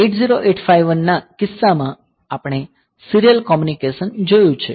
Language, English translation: Gujarati, So, in case of 8085 we have seen the serial communication